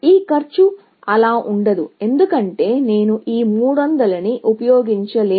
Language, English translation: Telugu, This cost is not going to be that, because I cannot use this 300